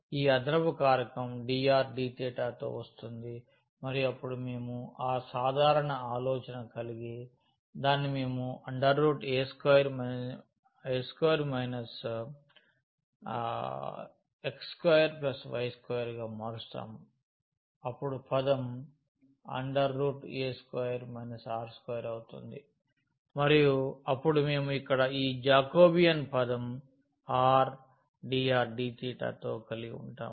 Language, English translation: Telugu, So, this additional factor which comes with dr d theta and then we have the simple idea that we will change it to the square root here a square and minus this x square plus y square term will become r square and then we have this Jacobian term here with this r and dr d theta